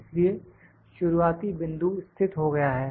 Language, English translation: Hindi, So, start point is located this is start point located